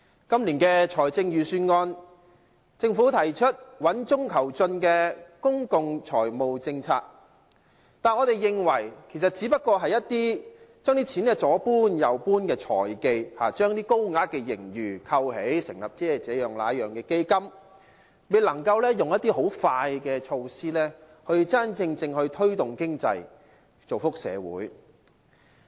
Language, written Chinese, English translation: Cantonese, 今年的財政預算案，政府提出穩中求進的公共財務政策，但我們認為其實只不過是一些將錢左搬右搬的財技，將高額的盈餘扣起，成立這樣、那樣的基金，未能夠採取快速見效的措施，真正推動經濟，造福社會。, The Government says the Budget this year proposes a sound and progressive fiscal policy . However we think that this is only a fiscal trick of moving the money around . Keeping the huge surplus intact the Government proposes to set up various funds but is unable to adopt some measures which can quickly and effectively boost the economy and benefit the community